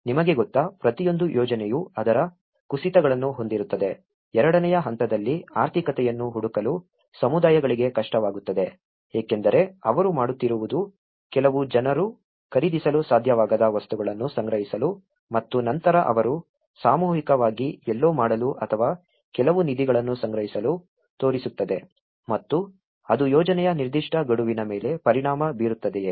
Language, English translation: Kannada, You know, every project will have its downturns, difficulty for communities for finding finances in the stage two because what they do is in order to procure the materials some people are able to afford some people may not and then they used to collectively do someplace or shows to gather some funds and that has also has an impact on the specific deadlines of the project